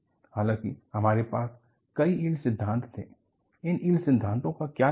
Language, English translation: Hindi, Though, you had many yield theories, what is the advantage of these yield theories